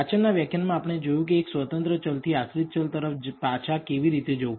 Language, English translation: Gujarati, In the preceding lectures we saw how to regress a single independent variable to a dependent variable